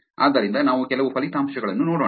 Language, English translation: Kannada, So, let us look at some results